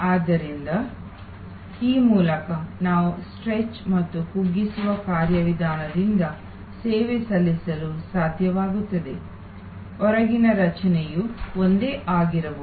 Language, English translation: Kannada, So, by this way we are able to serve by the stretch and shrink mechanism, the outer structure may remain the same